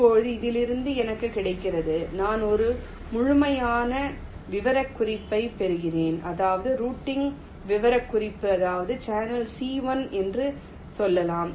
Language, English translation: Tamil, now, from this what i get, i get a complete specification, routing specification i mean for, let say, channel c one